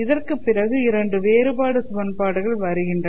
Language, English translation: Tamil, There are two additional equations